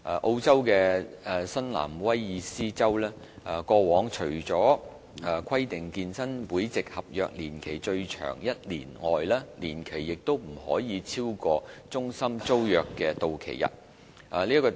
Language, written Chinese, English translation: Cantonese, 澳洲的新南威爾士州過往除規定健身會籍合約年期最長1年外，年期亦不可以超過中心租約的到期日。, Previously in New South Wales Australia the regulations used to stipulate that fitness service contracts should not exceed one year in length or the unexpired period of the lease of the fitness centre premises